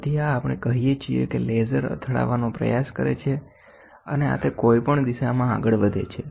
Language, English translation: Gujarati, So, this is what we say a laser tries to hit, and this it moves in any direction